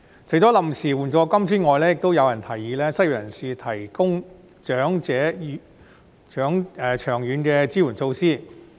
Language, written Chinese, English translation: Cantonese, 除了臨時援助金之外，亦有人提議為失業人士提供長遠的支援措施。, Apart from temporary assistance it is also proposed that long - term support measures should be provided for the unemployed